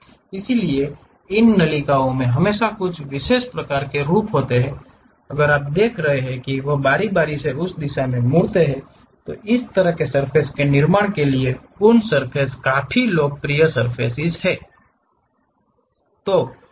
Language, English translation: Hindi, So, these ducts always have some specialized kind of form, if you are looking at that they nicely turn and twist in that directions, for that kind of surface construction these Coons surfaces are quite popular